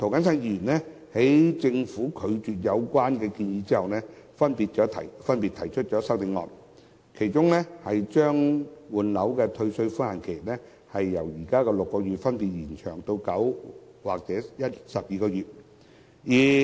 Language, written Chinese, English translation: Cantonese, 在政府拒絕有關建議後，周浩鼎議員及涂謹申議員分別提出修正案，把換樓的退稅寬限期由現時的6個月，分別延長至9個月或12個月。, After the Government rejected the proposal Mr Holden CHOW and Mr James TO have respectively proposed CSAs to extend the statutory time limit for disposal of the original residential property under the refund mechanism from 6 months to 9 months or 12 months